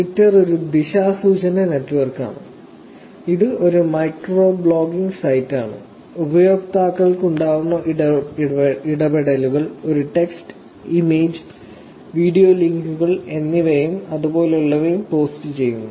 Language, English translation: Malayalam, So, Twitter is a unidirectional network, it is a micro blogging site, the interactions that users could have is post a text, image, video links, and things like that